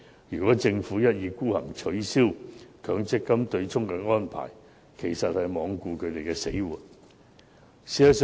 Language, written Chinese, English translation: Cantonese, 如政府一意孤行，取消強積金的對沖安排，便是罔顧他們的死活。, If the Government is hell - bent on abolishing the MPF offsetting arrangement it is totally indifferent as to whether members of the trade are alive or dead